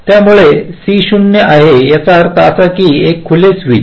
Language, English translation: Marathi, so when c is zero, it means that i have a open switch